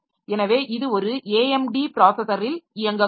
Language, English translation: Tamil, So, it may be running on an AMD processor